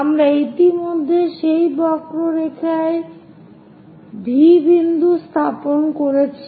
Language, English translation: Bengali, So, we have already located point V on that curve